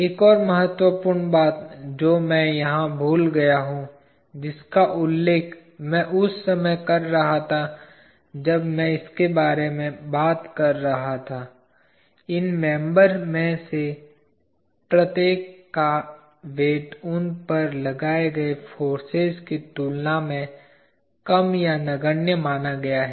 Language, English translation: Hindi, One more important thing that I have forgotten here which I mention when I was talking about this is, each of these members assume to have weight less than or negligible compare to the forces applied on them